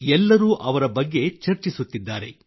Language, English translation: Kannada, Everyone is talking about them